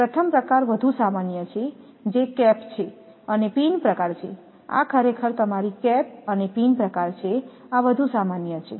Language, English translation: Gujarati, The first type is more common that is cap and pin type is a more common this is actually your cap and pin type this is more common